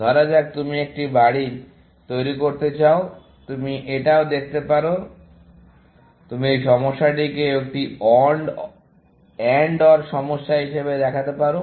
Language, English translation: Bengali, Suppose, you want to construct a house, you can see this also, you can pose this problem also, as an AND OR problem